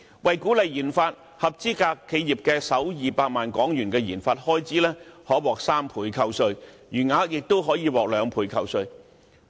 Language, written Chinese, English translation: Cantonese, 為鼓勵研發，合資格企業的首200萬元研發開支可獲3倍扣稅，餘額亦可獲兩倍扣稅。, This is really quite a generous grant . To encourage research and development RD eligible enterprises will be granted a 300 % tax deduction for the first 2 million of RD expenditure and a 200 % deduction for the remainder